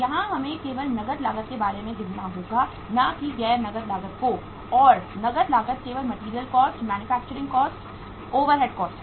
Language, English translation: Hindi, So not counting about the non cash cost here we will have to only count about the cash cost and the cash cost is only the material cost, manufacturing cost, overheads cost